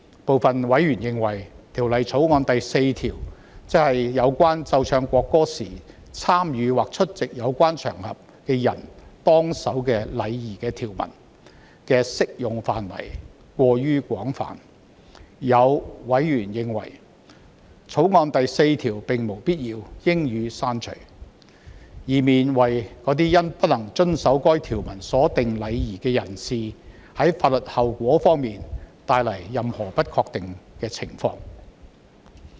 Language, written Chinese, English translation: Cantonese, 部分委員認為，《條例草案》第4條，即有關奏唱國歌時參與或出席有關場合的人當守的禮儀的條文的適用範圍過於廣泛，也有委員認為，《條例草案》第4條並無必要，應予刪除，以免為未能遵守該條文所訂禮儀的法律後果帶來任何不確定的情況。, Some members consider that the scope of applicability of clause 4 which provides for the etiquette to be followed by persons who take part in or attend an occasion when the national anthem is played and sung is too large . Some members consider that clause 4 of the Bill is unnecessary and should be deleted to avoid any uncertainty in respect of the legal consequence of failure to observe the etiquette provided in the clause